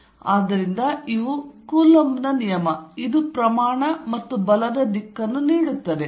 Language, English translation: Kannada, So, these are this is the Coulomb's law, it gives the magnitude as well as the direction of the force